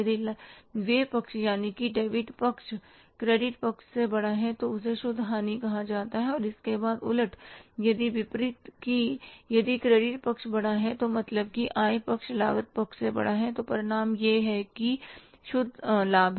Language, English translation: Hindi, If the expense side, debit side is bigger than the credit side, then that is called as the net loss and if the vice versa that if the credit side is bigger, means the income side is bigger than the cost side, debit side, then the result is the net profit